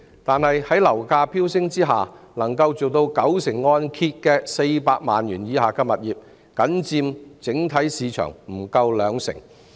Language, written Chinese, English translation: Cantonese, 但是，在樓價飆升的情況下，能夠做到九成按揭的400萬元以下物業僅佔整體市場不足兩成。, However with the property prices soaring high properties under 4 million that are able to get a 90 % mortgage loan accounted for less than 20 % of the whole market